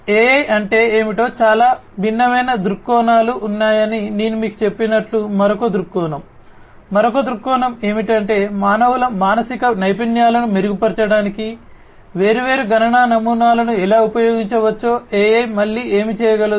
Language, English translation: Telugu, Another viewpoint as I told you that there are many different viewpoints of what AI is; another viewpoint is how we can use how we can use the different computational models to improve the mental faculties of humans is what again AI can do